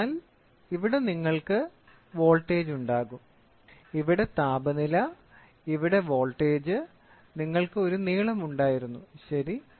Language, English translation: Malayalam, So, here you will have voltage, here temperature, here voltage and you had a length, ok